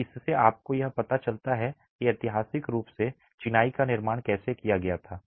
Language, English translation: Hindi, So this gives you an idea of how historically masonry was constructed